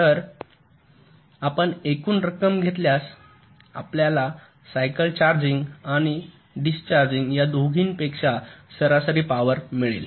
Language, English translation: Marathi, so if you take the sum total you will get the average power consumption over both the cycles, charging and discharging